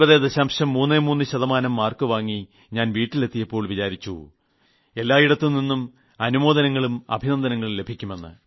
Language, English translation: Malayalam, 33% marks when I reached home, I was thinking that I would be congratulated by my family and friends, I would be applauded